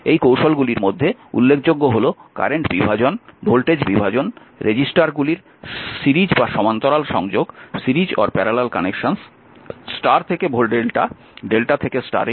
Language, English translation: Bengali, This technique actually include; the current division, voltage division, combining resistors in series or parallel and star to delta and delta to star transformation, right